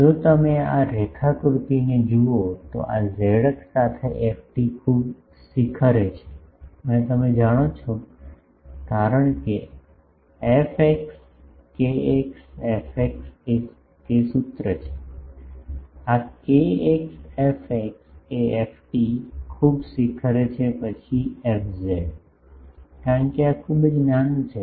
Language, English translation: Gujarati, If you look at this diagram, so along this z axis, the ft is highly peaked and you know that since the fx kx fx that formula, this kx fx is ft is highly peaked then fz, because of this is very small